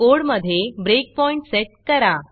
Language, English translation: Marathi, Set breakpoints in the code